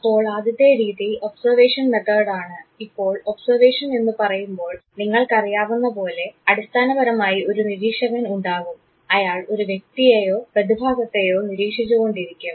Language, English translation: Malayalam, So, the first method that is the observation method; now observation as you can understand as the name suggests that basically there is an observer who would be looking at either the individual or phenomena